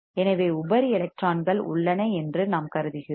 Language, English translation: Tamil, And thus, we are assuming that there are free electrons